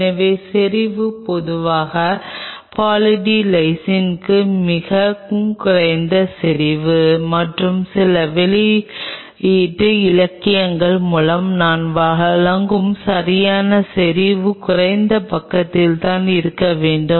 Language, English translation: Tamil, So, the concentration is generally used for Poly D Lysine is fairly low concentration and the exact concentration I will provide through few publish literature it has to be on a lower side